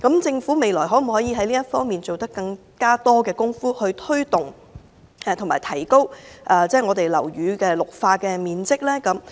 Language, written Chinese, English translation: Cantonese, 政府未來可以在這方面多花工夫，從而提高樓宇的綠化面積。, The Government should work harder to increase the greening ratio of buildings